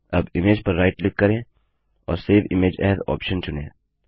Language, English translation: Hindi, Now right click on the image and choose the Save Image As option